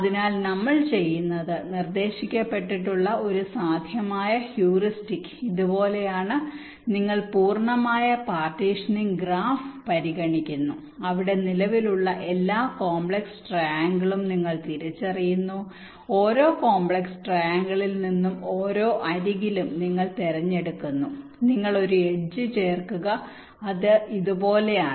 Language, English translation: Malayalam, so what we do one possible heuristic that has been proposed is something like this: you consider the complete partitioning graph, you identify all complex triangles that exists there, you select one edge from each of those complex triangles and in each of edges you add one edge, which means it is something like this: let say, your complex triangle look like this